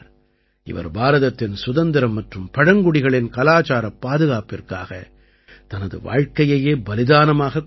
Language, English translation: Tamil, He had sacrificed his life to protect India's independence and tribal culture